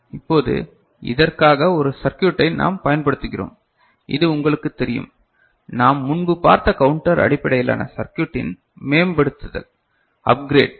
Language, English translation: Tamil, Now, for this we employ a circuit which is of this nature, which is a you know, upgrade of the counter based circuit that we had seen before